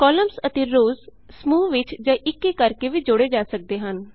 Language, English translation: Punjabi, Columns and rows can be inserted individually or in groups